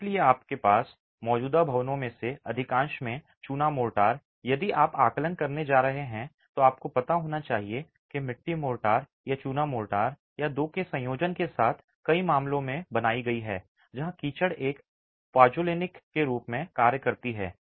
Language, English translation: Hindi, So, lime motor, most of your existing buildings if you are going to be doing an assessment you should know that might have been made with mud motor or lime motor or a combination of the two in many cases where the mud acts as a pozzolanic additive to the mortar itself